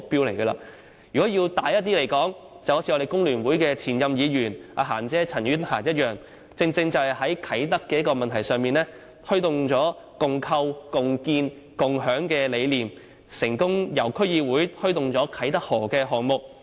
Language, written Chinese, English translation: Cantonese, 如果再說得遠大一點，正如我們香港工會聯合會前任議員"嫻姐"陳婉嫻般，她在啟德問題上，正正推動了"共構、共建、共享"的理念，成功由區議會推動啟德河項目。, In a broader sense the concept of constructing together building together sharing as promoted by former Member of this Council Miss CHAN Yuen - han of the Hong Kong Federation of Trade Unions in the issue of Kai Tak was advocated by her in promoting the Kai Tak River project at the district level